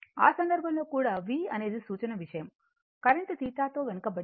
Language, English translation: Telugu, In that case also V is that reference thing , current anyway lagging by theta